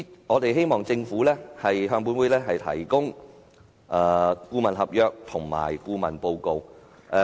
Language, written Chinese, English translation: Cantonese, 我們希望政府向本會提交有關的顧問合約及顧問報告。, We hope that the Government will submit to this Council the consultancy contract and the consultancy report